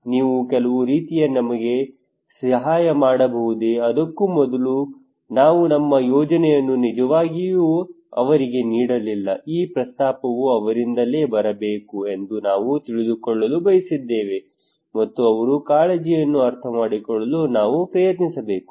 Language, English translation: Kannada, can you help you some manner, before that we did not really put our plan to them we just wanted to know that this proposal should come from them and we should also try to understand them their concerns